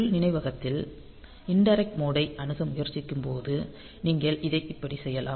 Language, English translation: Tamil, So, internal memory when you are trying to access in indirect mode; so, you can do it like this